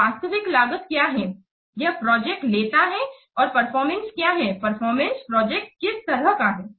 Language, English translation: Hindi, So, what is the actual cost that the project takes and what is the performance, what kind of performance the project is keeping